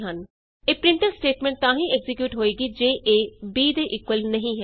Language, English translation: Punjabi, This printf statment will execute when a is not equal to b